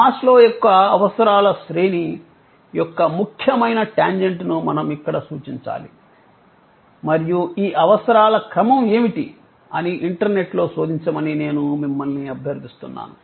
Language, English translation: Telugu, We must refer here on a tangent, important tangent, Maslow’s hierarchy of needs and I would request you to search on the internet, what is this hierarchy of needs